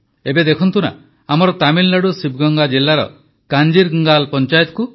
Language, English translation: Odia, Now look at our Kanjirangal Panchayat of Sivaganga district in Tamil Nadu